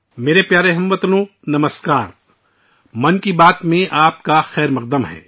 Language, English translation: Urdu, My dear countrymen, Namaskar, Welcome to Mann Ki Baat